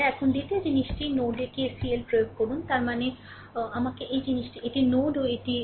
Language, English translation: Bengali, Now second thing is you apply KCL at node o; that means, let me these thing this is your node o right it is o